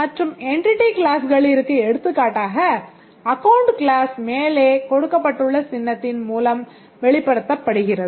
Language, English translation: Tamil, And the entity classes, for example an account class is represented by this type of symbol